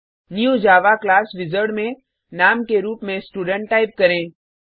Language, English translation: Hindi, In the New Java Class wizard type the Name as Student